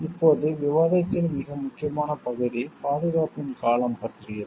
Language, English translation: Tamil, Now very important part of discussion is about the duration of protection